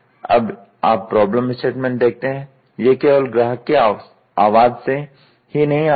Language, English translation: Hindi, Now, you see problem statement just not just come from customer voice alone